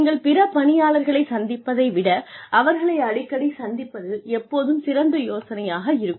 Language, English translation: Tamil, It will always be a good idea, to meet them more often, than you would meet the other employees